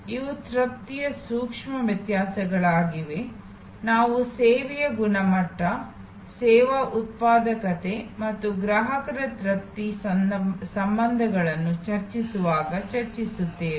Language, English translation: Kannada, These are nuances of satisfaction we will discuss that when we discuss service quality, service productivity and customer satisfaction relationships